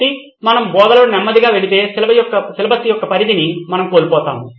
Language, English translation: Telugu, So if we actually go slow in teaching we are going to miss out on the extent of syllabus